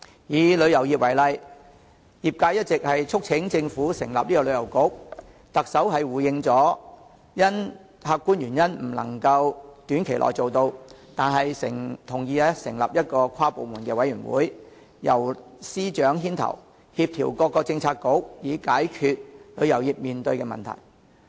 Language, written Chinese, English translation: Cantonese, 以旅遊業為例，業界一直促請政府成立旅遊局，特首回應因客觀原因未能短期內做到，但同意成立一個跨部門的委員會，由司長牽頭，協調各政策局以解決旅遊業面對的問題。, In the case of the tourism industry the industry has long been urging the Government to establish a Tourism Bureau . While the Chief Executive replied that a Bureau could not be established in the short run due to objective reasons she agreed to establish an inter - departmental committee led by a Secretary of Department so as to coordinate various Policy Bureaux in resolving problems faced by the tourism industry